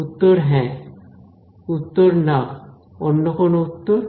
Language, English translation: Bengali, Answer is yes, answer is no; any other answers